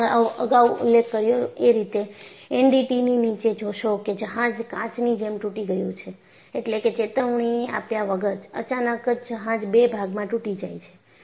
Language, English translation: Gujarati, And as I have mentioned it earlier, below the NDT, you find the ship broke like glass; that means, without warning, suddenly the ship breaks into two